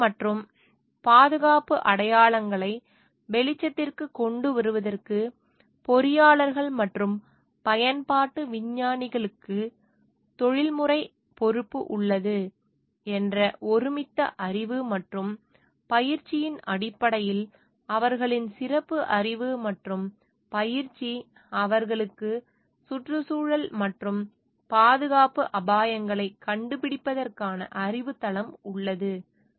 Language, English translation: Tamil, Their specialised knowledge and training at the basis for growing consensus that engineers and applied scientists have a professional responsibility to bring environmental as well as safety hazards to light, because they have a knowledge base, because they are trained for it to recognize with the environmental hazards, and safety hazards